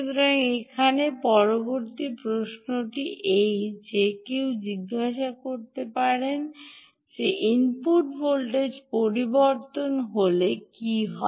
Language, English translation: Bengali, so the next question one can ask here is that what happens if the input voltage changes